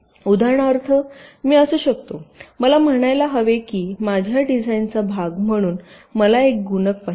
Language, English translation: Marathi, for example, i need lets say, i need a multiplier as part of my design